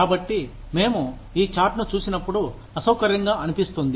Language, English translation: Telugu, So, when we look at this chart, as uncomfortable, as it sounds